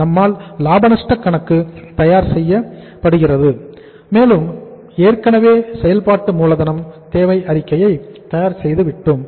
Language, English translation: Tamil, We are able to prepare the profit and loss account and we are already we have prepared the working capital requirements statement